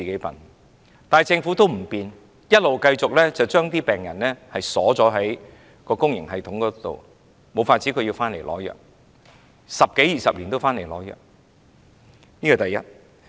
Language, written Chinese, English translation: Cantonese, 但是，政府不改變，繼續將病人鎖在公營系統內，他們唯有回來取藥，十多二十年如是，這是第一點。, Nonetheless for two decades the Government has not made any changes but continues to lock the patients in the public system and these patients have no other alternatives but go to hospitals several times a year only for drugs . This is the first point